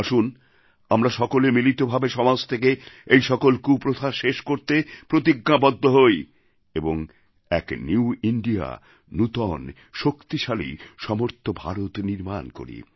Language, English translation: Bengali, Come, let us pledge to come together to wipe out these evil customs from our social fabric… let us build an empowered, capable New India